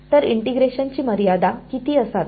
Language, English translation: Marathi, So, what should be the limits of integration